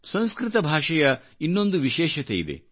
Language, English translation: Kannada, This has been the core speciality of Sanskrit